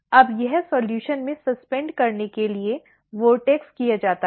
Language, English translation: Hindi, Now, this is vortexed to suspend in the solution